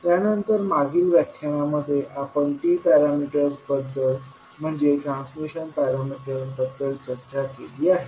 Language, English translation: Marathi, And then in the last session we discussed about the T parameters that is transmission parameters